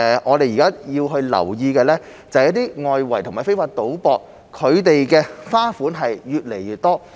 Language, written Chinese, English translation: Cantonese, 我們現時要留意的是，一些外圍和非法賭博的花款越來越多。, Currently we must pay attention to the increasingly wide variety of bookmaking and illegal bet types